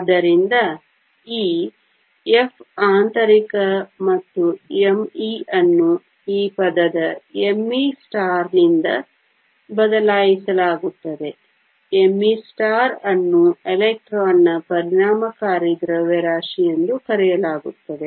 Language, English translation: Kannada, So, this F internal and m e are replaced by this term m e star; m e star is called the effective mass of the electron